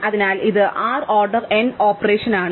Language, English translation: Malayalam, So, this is an order n operation, right